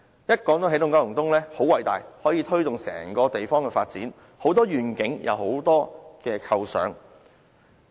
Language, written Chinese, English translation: Cantonese, 起動九龍東說得很偉大，說可以推動整個地方的發展，很多願景和很多構想。, It is said that the EKE project is so great that it can promote the development of the entire district . There are lots of visions and concepts